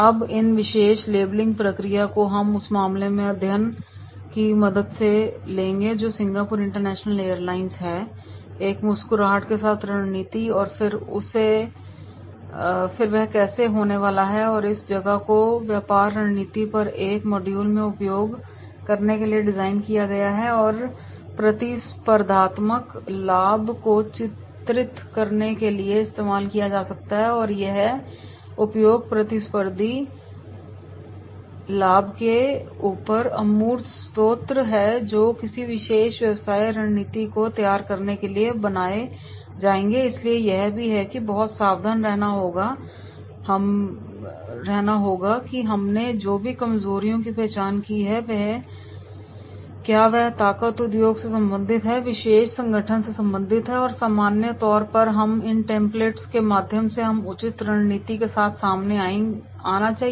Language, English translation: Hindi, Now, these particular labelling process we will take with the help of the same case study that is Singapore International Airlines: Strategy with a smile and then how that is going to happen, now this place is designed to be used in a module on business strategy and can be used to illustrate intangible sources of competitive advantage and these utilisation intangible sources above competitive advantages that will be creating to designing a particular business strategy, so this is we have to be very careful that is the whatever the weaknesses we have identified what are the strength are there related to the industry, related to particular organization and in general then through these templates we should come out with the appropriate strategy